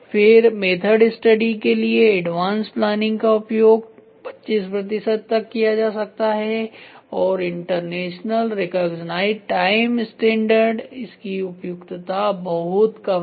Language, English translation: Hindi, Then advance planning for method study it can be used to 25 percent and international recognized times standard it has poor suitability